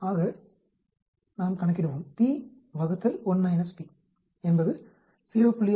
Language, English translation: Tamil, So how do you calculate p1